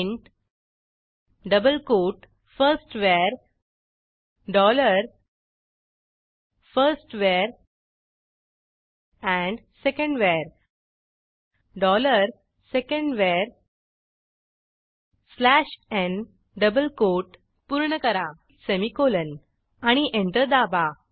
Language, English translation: Marathi, Now to print these values, type print double quote firstVar: dollar firstVar and secondVar: dollar secondVar slash n close double quote semicolon press Enter